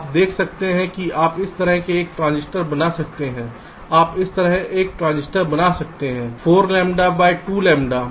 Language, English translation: Hindi, you can make a transistor like this: two lambda by four lambda